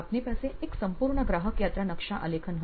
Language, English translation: Gujarati, You will have a complete customer journey map